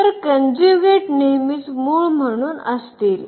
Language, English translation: Marathi, So, the conjugate will be always there as the root